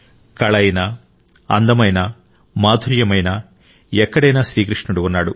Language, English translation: Telugu, Be it art, beauty, charm, where all isn't Krishna there